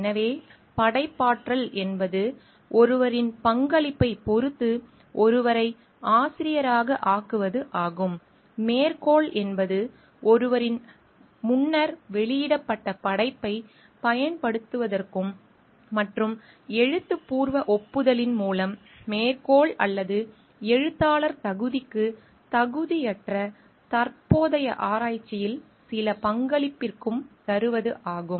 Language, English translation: Tamil, So, authorship is by making someone a part of authors depending upon the contribution made, citation is for using someone s previously published work and via written acknowledgement means for some contribution in present research that neither qualifies for citation or authorship